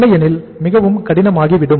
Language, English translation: Tamil, Otherwise it is very very difficult